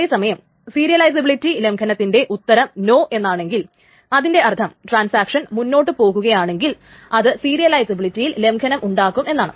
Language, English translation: Malayalam, On the other hand, this violating serializability may also answer no, which means that if the transaction proceeds, then it will violate the serializability